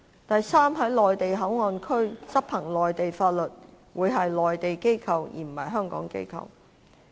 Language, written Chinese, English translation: Cantonese, 第三，在內地口岸區執行內地法律的會是內地機構，而非香港機構。, Third Mainland laws would be enforced by Mainland authorities in MPA but not Hong Kong authorities